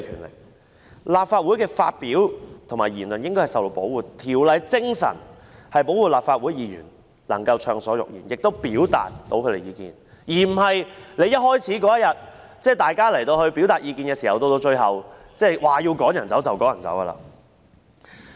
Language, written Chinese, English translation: Cantonese, 在立法會發表言論應該受到保護，《條例》的精神是保護立法會議員能夠暢所欲言，亦可以表達意見，而不是像那天一開始般，在大家表達意見時，主席說要把議員趕離場，便立即做。, The expression of views in the Legislative Council should be protected and the spirit of PP Ordinance is to protect Legislative Council Members so that they can speak freely and express their views instead of having the President say that he wants to drive Members out when Members are expressing their views as he did at the very beginning on that day and his words were put into action immediately